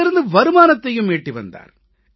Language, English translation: Tamil, He also earns from this activity